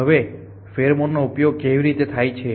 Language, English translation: Gujarati, Now, how to the use is pheromone